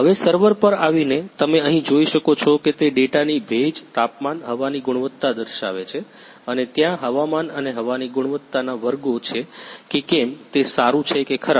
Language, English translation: Gujarati, Now coming to the server, you can see here it is showing the data humidity, temperature, air quality and there is classes of the weather and air quality whether it is good or bad